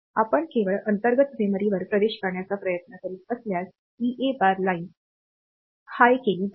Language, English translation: Marathi, So, and if you are trying to access only internal memory then the EA bar line will be made high